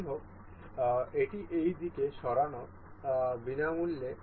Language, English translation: Bengali, However, this is free to move in this direction